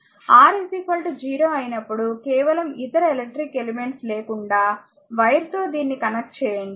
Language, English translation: Telugu, And when R is equal to 0 just connect it like this without no other electric elements simply wire